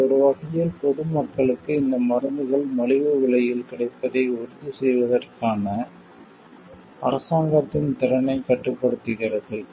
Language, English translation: Tamil, This in a way restricts the ability of the government to ensure affordable access of these medicines to common public